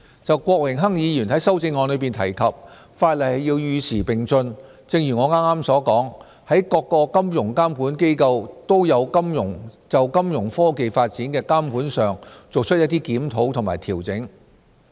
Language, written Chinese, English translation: Cantonese, 就郭榮鏗議員在修正案中提及法例要與時並進，正如我剛才所說，各個金融監管機構都有就金融科技發展的監管上作出一些檢討和調整。, Mr Dennis KWOK mentioned in his amendment that our legislation has to be up - to - date . As I said earlier each of the financial regulators has reviewed and made adjustments in their regulation of Fintech development